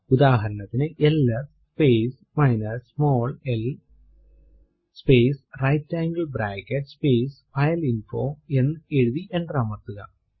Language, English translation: Malayalam, Say we write ls space minus small l space right angle bracket space fileinfo and press enter